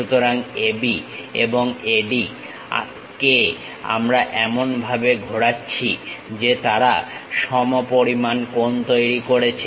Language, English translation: Bengali, So, AB and AD we are rotating in such a way that they are going to make equal angles